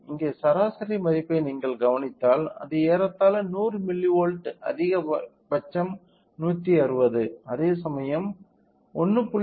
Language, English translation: Tamil, So, here if you observe the mean value it is a approximately 100 milli volts the maximum is 160; whereas, if you observe the output of 1